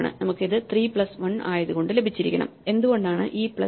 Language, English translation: Malayalam, We must have got it by 3 plus 1, why is this because e plus e